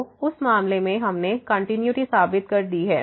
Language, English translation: Hindi, So, in that case we have proved the continuity